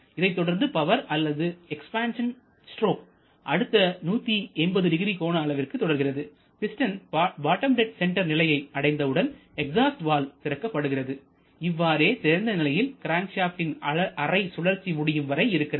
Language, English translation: Tamil, Then we have this power or expansion stroke over 180 degree and when the piston reaches the bottom dead center then we open the exhaust valve and it kept open over half revolution